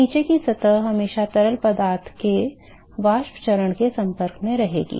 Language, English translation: Hindi, So the bottom surface will always be in contact with the vapor phase of the fluid